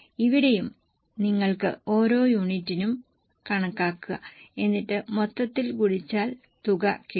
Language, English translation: Malayalam, Here also you can go by per unit but then multiply it by total